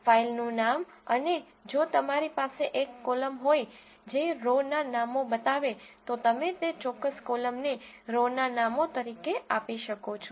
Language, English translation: Gujarati, c sve the file name and if you have a column which specifies the row names you can give that particular column as row names